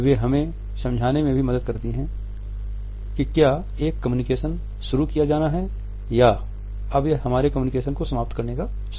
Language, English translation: Hindi, They also help us to understand whether a communication is to be started or when it is the time to end our communication